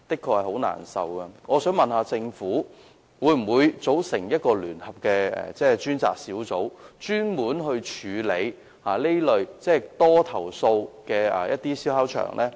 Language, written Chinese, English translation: Cantonese, 為處理這問題，我想問政府，會否組成一個聯合專責小組，專門處理這類經常被投訴的燒烤場？, To address this problem may I ask the Government if it will set up a joint task force dedicated to dealing with this type of barbecue sites which are frequently under complaint?